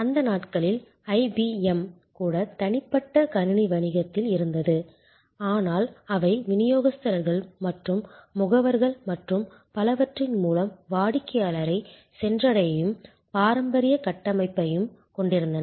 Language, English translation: Tamil, In those days, even IBM was in personal computer business, but they also had the traditional structure of reaching the customer through distributors and agents and so on